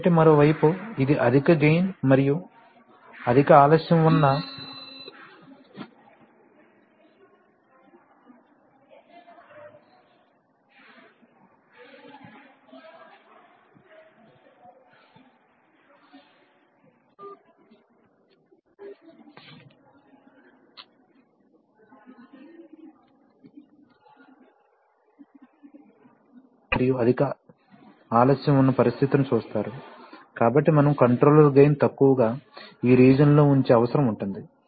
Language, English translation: Telugu, So, but on the other hand, when you are, so you see that this is situation where you have high gain and you have a high delay, so you need to keep, as we know that the controller gain needs to be kept low in this region